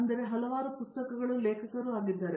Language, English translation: Kannada, He is the author of numerous books